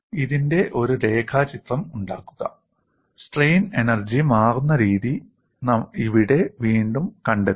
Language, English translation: Malayalam, Make a sketch of this also, here again we will find out what way the strain energy changes